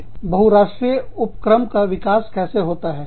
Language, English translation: Hindi, How do multinational enterprises, develop